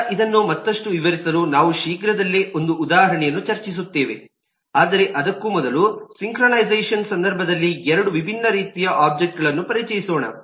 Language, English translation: Kannada, so we will soon discuss an example to illustrate this further, but before that let me introduce two different types of objects in the context of synchronization